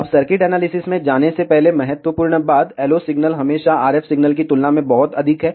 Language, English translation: Hindi, Now, before going to the circuit analysis, important thing LO signal is always very very greater than the RF signal